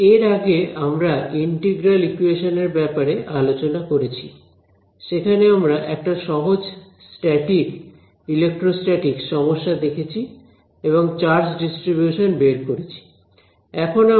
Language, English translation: Bengali, Continuing our discussion that we have been having about integral equations, what we looked at was a simple static case electrostatics problem we found out the charge distribution